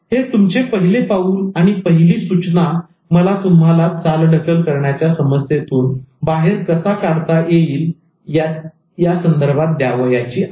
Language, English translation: Marathi, So this is the first step and the first tip that I want to give you in terms of overcoming procrastination